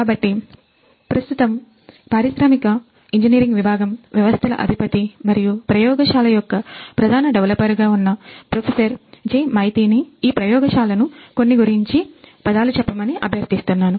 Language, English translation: Telugu, So, I now request Professor J Maiti who is currently the head of Industrial and Systems Engineering department and also the principal developer of this particular lab to say a few words describing this lab